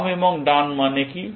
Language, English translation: Bengali, What does left and right mean